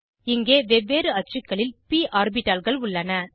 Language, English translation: Tamil, Here are p orbitals in different axes